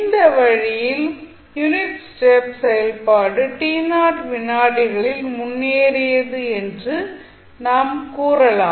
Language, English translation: Tamil, So, in this way you can say that the unit step function is advanced by t naught seconds